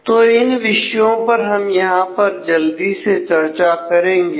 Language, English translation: Hindi, So, these are the topics that we will quickly cover in this